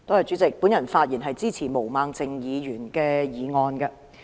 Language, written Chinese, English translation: Cantonese, 主席，我發言支持毛孟靜議員的議案。, President I speak in support of Ms Claudia MOs motion